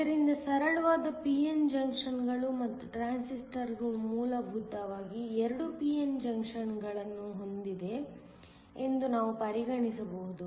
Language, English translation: Kannada, So, simple p n junctions and we can actually treat transistors has essentially having 2 p n junctions